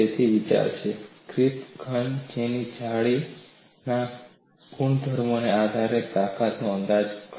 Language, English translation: Gujarati, So, the idea is, estimate the strength of a crystalline solid based on its lattice properties